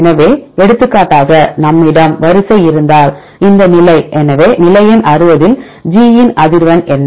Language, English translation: Tamil, So, for example, if we have this sequence this position; so what is the frequency of G at position number 60